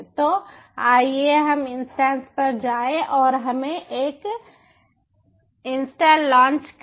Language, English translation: Hindi, so, ah, lets go to ok, go to instance and lets launch an instance